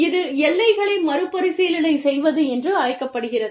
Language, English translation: Tamil, And, it is called, reconsidering boundaries